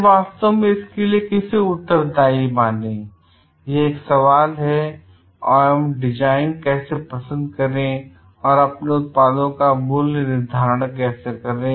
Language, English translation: Hindi, Then who should actually pay for it is a question and of how to like design and how to like pricing of your products